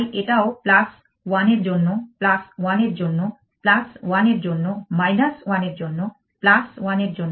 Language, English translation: Bengali, So, this is also plus 1 in this case it is plus 1 for this plus 1 for this plus 1 for this plus 1 for this